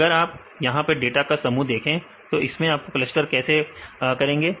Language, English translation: Hindi, So, if you see it is a group of data right how to cluster